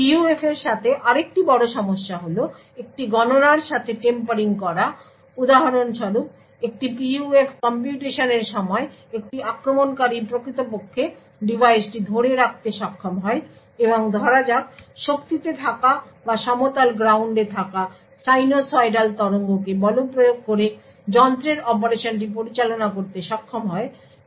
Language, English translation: Bengali, Another big problem with PUF is that of tampering with a computation for example, during a PUF computation is for instance an attacker is able to actually get hold of the device and manipulate the device operation by say forcing sinusoidal waves in the power or the ground plane then the response from the PUF can be altered